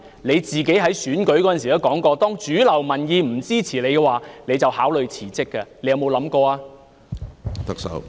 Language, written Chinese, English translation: Cantonese, 你自己在選舉時曾說，當主流民意不支持你的話，你會考慮辭職，你有否想過這樣做呢？, You said during the election that you would consider resignation if mainstream opinion was against you . Have you ever considered doing so?